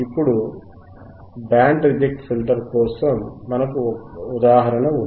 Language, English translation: Telugu, Now, for Band Reject Filter, we have an example